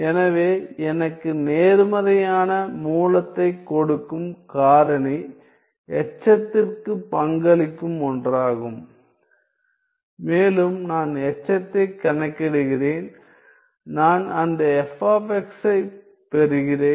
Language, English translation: Tamil, So, the factor that gives me a positive root will be the one that contributes to the residue and I get calculating the residue I get that f of x